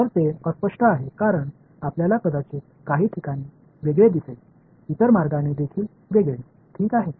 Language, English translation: Marathi, So, that is unambiguous because you might find in some places the other way also alright